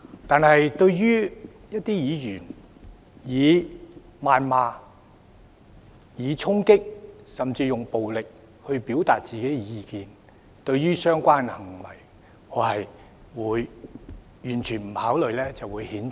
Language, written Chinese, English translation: Cantonese, 但是，一些議員以謾罵、衝擊，甚至用暴力去表達自己的意見；對於這些行為，我會毫不猶豫，加以譴責。, On the contrary some Members express their views by means of invective storming and even violence . I will not hesitate to condemn these acts